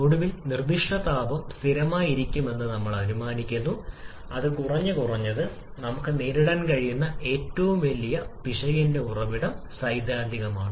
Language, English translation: Malayalam, And finally we are assuming the specific heat to be constant that is probably at least from theoretical that is probably the biggest source of error that we can encounter